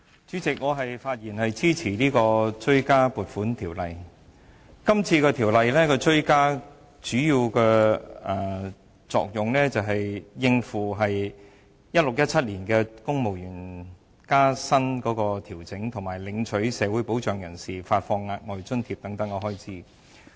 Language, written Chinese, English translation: Cantonese, 主席，我發言支持《追加撥款條例草案》。《條例草案》主要用以應付 2016-2017 年度公務員薪酬調整，以及向領取社會保障人士發放額外津貼等開支。, President I rise to speak in support of the Supplementary Appropriation 2016 - 2017 Bill the Bill which seeks mainly to meet additional expenses arising from the 2016 - 2017 civil service pay adjustment and provision of extra allowances to social security recipients